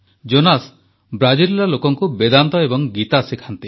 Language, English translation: Odia, Jonas teaches Vedanta & Geeta to people in Brazil